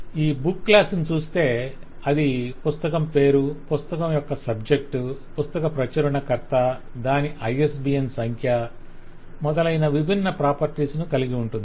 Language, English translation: Telugu, So there is a book class which has all this different properties of the name of the book, the subject of the book, the publisher of the book, the ISBN number of the book and so on